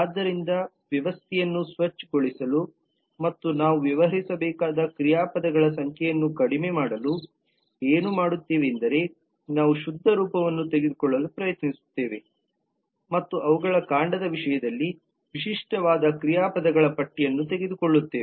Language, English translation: Kannada, so what we will do just to clean up the system and reduce the number of verbs that we have to deal with we will try to just take the pure form and take the list of verbs which are in the unique terms of their stem